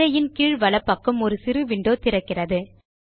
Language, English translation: Tamil, A small window opens at the bottom right of the screen